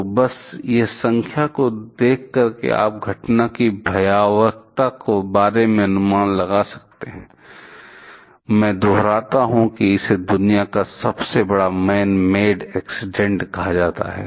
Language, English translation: Hindi, So, just by seeing the seeing this numbers you can get an idea about the magnitude of the event; I repeat this is called the largest manmade accident in the world